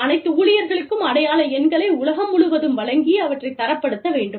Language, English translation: Tamil, Providing identification numbers, for all employees, around the globe, and a way to standardize, these